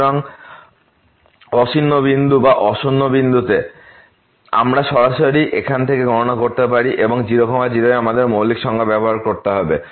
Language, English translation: Bengali, So, at non zero point that non zero point, we can directly compute from here and at we have to use the fundamental definitions